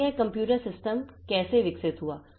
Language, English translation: Hindi, So, how did this computer systems evolve